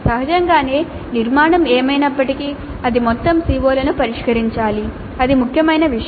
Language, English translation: Telugu, Obviously whatever be the structure it must address all the COs, that is important thing